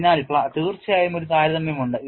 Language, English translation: Malayalam, So, there is definitely a comparison